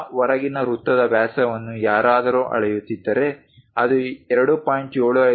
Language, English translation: Kannada, If someone measure the diameter of that outer circle, if it is 2